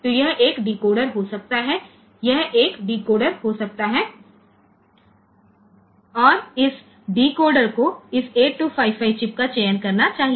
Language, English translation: Hindi, So, this may be a decoder, this may be a decoder and this decoder should select this 8255 chip